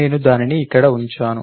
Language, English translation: Telugu, I put it have it here